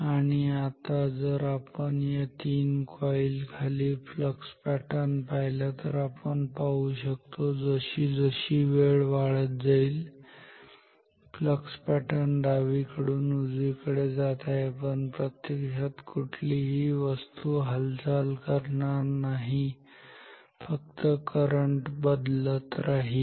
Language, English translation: Marathi, And now if we consider the flux pattern below this three coils, then we see the flux pattern is moving from left to right as the time increases as the time progresses, but no object is physically moving only the current is varying